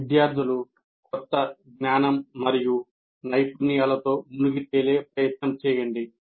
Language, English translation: Telugu, Make effort in making the students engage with the new knowledge and skills they are expected to attain